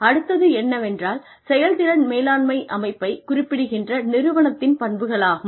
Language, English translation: Tamil, The next thing is the characteristics of an organization, that indicate the existence of a performance management system